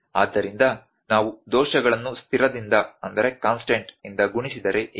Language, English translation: Kannada, So, what if we multiply the errors with a constant